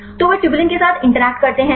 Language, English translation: Hindi, So, they interact with the tubulin